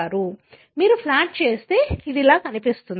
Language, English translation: Telugu, So, if you plot it, this is how it looks like